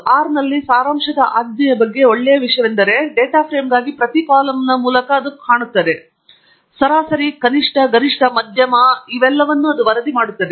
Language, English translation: Kannada, The nice thing about the summary command in R is that for a data frame, it looks through every column and reports the mean, minimum, maximum, median and so on